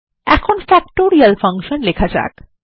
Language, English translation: Bengali, Now let us write Factorial functions